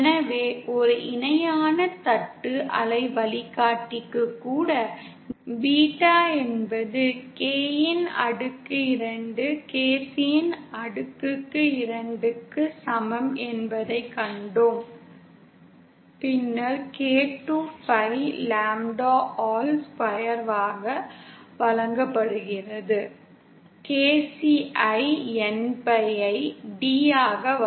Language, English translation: Tamil, So even for a parallel plate waveguide, we saw that beta is equal to K square KC square and then K is given as 2pi upon lambda whole square KC is given by npi upon d